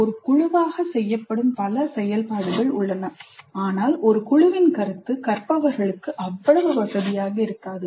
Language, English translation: Tamil, There are several activities which are done as a group but the concept of a group itself may be not that comfortable for the learners